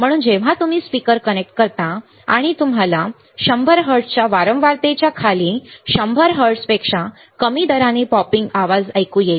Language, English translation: Marathi, So, when you connect a speaker and you will hear a popping sound at rate below 100 hertz below frequency of 100 hertz